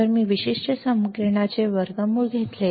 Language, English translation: Marathi, If I take square root of this particular equation